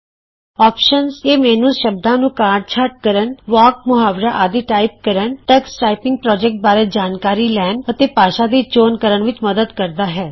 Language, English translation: Punjabi, Options – Comprises menus that help us to edit words, learn to type phrases, get information on the tux typing project, and set up the language